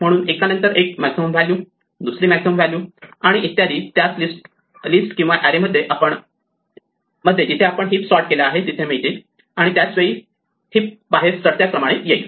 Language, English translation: Marathi, So, one by one the maximum value, second maximum value and so on will get into the same list or array in which we are storing the heap and eventually the heap will come out in ascending order